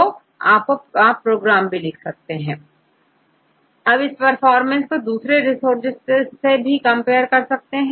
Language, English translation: Hindi, So, you can also write the program and this same information you can also obtain from different resources right